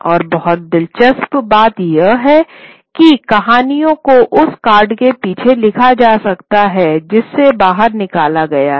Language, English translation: Hindi, And very interestingly, the stories are, could be written behind the card that has been pulled out